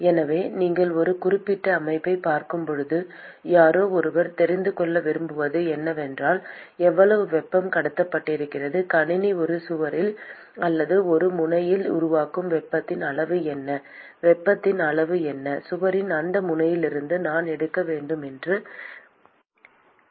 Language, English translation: Tamil, So, when you are looking at a certain system, what somebody wants to know is how much heat is being transported, what is the amount of heat that the system would generate at one wall of or one end, and what is the amount of heat that I am supposed to take from that end of the wall